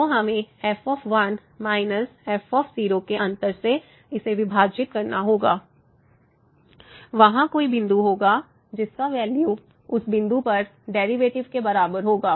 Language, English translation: Hindi, So, to then we will get minus divided by this difference and there will be some point whose value will be equal to the derivative at that point